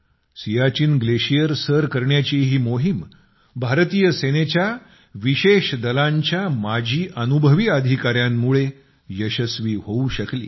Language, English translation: Marathi, This operation to conquer the Siachen Glacier has been successful because of the veterans of the special forces of the Indian Army